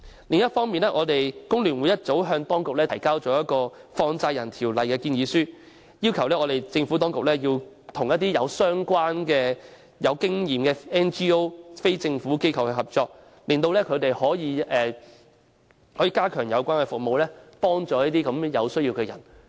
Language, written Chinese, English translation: Cantonese, 另一方面，工聯會早已向政府當局提交有關《放債人條例》的建議書，要求當局與具相關經驗的 NGO 合作，令他們可以加強有關服務，幫助有需要的人。, Moreover FTU has submitted a proposal to the Administration in relation to the Money Lenders Ordinance for quite a while requesting the Administration to cooperate with non - governmental organizations NGOs with relevant experience so that they can enhance the relevant services to help people in need